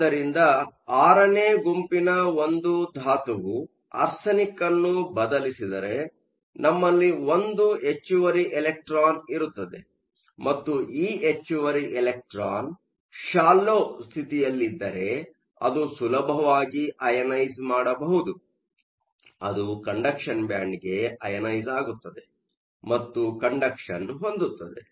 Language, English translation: Kannada, So, if an element from group VI replaces arsenic, we will have one extra electron and if this extra electron is in a shallow state, if it is easily ionisable, it can get ionized to the conduction band and be available for conduction